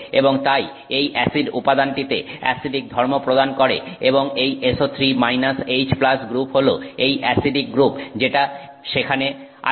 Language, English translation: Bengali, And therefore this acts as the acid, you know, it provides the acidic property for that material and this SO3 minus H plus group is this acidic group that is present there